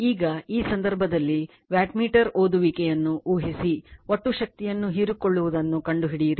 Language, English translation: Kannada, Now, in this case , you are predict the wattmeter readings find the total power absorbed rights